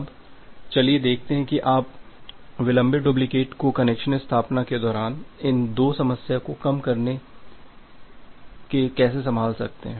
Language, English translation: Hindi, Now, let us see that how you can handle the delayed duplicates during the connection establishment by mitigating this two problem